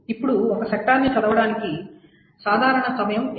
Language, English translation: Telugu, Now what is the typical time to read one sector